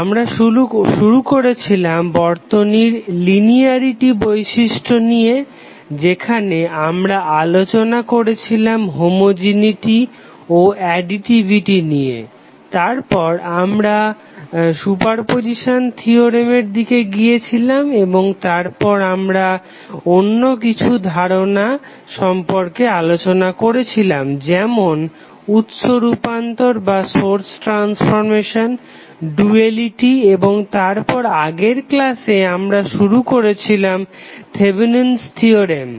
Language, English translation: Bengali, We started with linearity property of the circuit where we discussed what is homogeneity and additivity and then we proceeded towards the superposition theorem and then we discussed the other concepts like source transformation and the duality and then in the last class we started our Thevenin's theorem